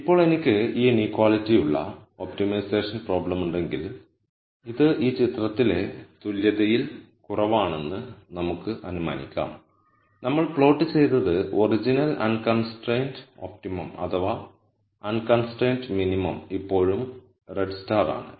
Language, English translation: Malayalam, Now, when I have the optimization problem where I have this inequality and let us assume this is less than equal to in this picture what we have plotted is that the original unconstrained optimum or the unconstrained minimum is still the red star